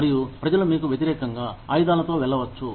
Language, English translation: Telugu, And, people could, go up in arms, against you